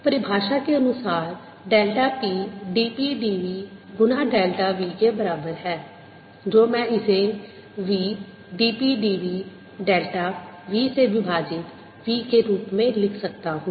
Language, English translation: Hindi, by definition, delta p is equal to d p, d v times delta v, which i can write it as b d p, d v, delta p over v